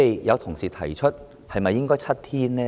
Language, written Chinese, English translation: Cantonese, 有同事提出是否應該改為7天呢？, Some colleagues raised the question of whether it should be changed to seven days